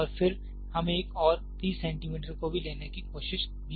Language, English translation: Hindi, And then, we would also try to have one more 30 centimeters